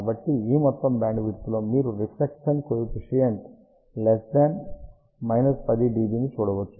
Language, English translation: Telugu, So, in this entire bandwidth, you can see that reflection coefficient is less than minus 10 dB